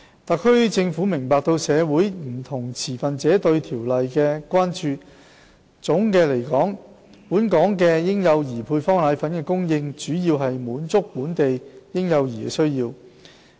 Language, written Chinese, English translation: Cantonese, 特區政府明白社會上不同持份者對《規例》的關注，總的來說，本港嬰幼兒配方粉的供應主要是滿足本地嬰幼兒的需要。, The Government notes the concerns of different stakeholders about the Regulation . By and large supply of powdered formulae in Hong Kong primarily serves the needs of local infants and young children